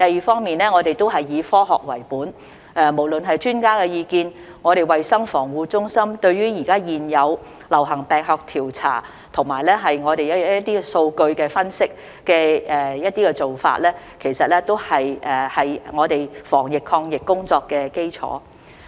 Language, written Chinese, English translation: Cantonese, 此外，我們以科學為本，無論是專家意見、衞生防護中心對於現有流行病學調查和數據分析的做法，其實都是我們防疫抗疫工作的基礎。, In addition we have adopted a science - based approach . In fact both expert advice and the Center for Health Protections current practice of epidemiological investigations and data analysis form the basis of our anti - epidemic efforts